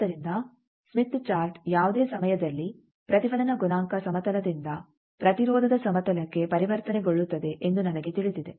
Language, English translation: Kannada, So, now, I know that Smith Chart is anytime transformation from reflection coefficient plane to impedance plane